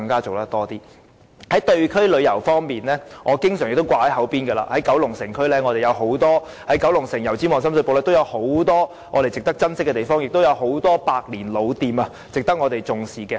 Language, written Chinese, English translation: Cantonese, 至於地區旅遊方面，我常掛在嘴邊的是九龍城、油尖區和深水埗區，當中有很多值得我們珍惜的地方，亦有很多百年老店值得我們重視。, As for district tourism I often mentioned the cases of Kowloon City Yau Tsim Mong and Shum Shui Po as many places in these districts should be cherished and many century - old stores should be treasured